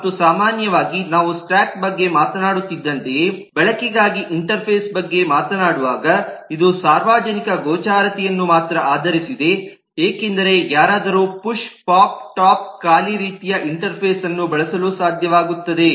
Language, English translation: Kannada, and typically when we talk about an interface for use, like we were talking about stack, this is based on only the public visibility, because anybody should be able to use the push, pop top empty kind of interface